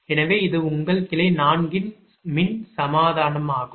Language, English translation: Tamil, so this is your branch four electrical equivalent